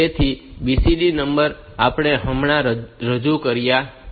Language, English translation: Gujarati, So, BCD number we have just introduced